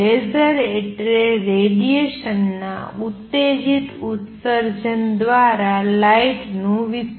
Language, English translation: Gujarati, Laser means light amplification by stimulated emission of radiation